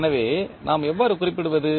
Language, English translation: Tamil, So, how we will represent